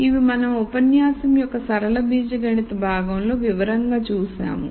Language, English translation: Telugu, So, this we saw in detail in the linear algebra part of the lecture